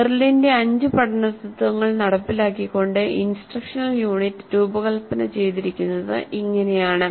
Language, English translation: Malayalam, So, this is how the instructional unit is designed implementing the five learning principles of Merrill